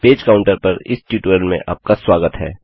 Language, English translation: Hindi, Welcome to this tutorial on a page counter